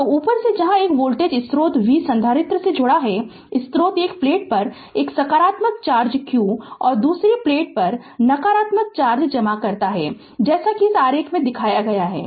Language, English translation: Hindi, So, from the above explanation we say that where a voltage source v is connected to the capacitor, the source deposit a positive charge q on one plate and the negative charge minus q on the other plate as shown in this figure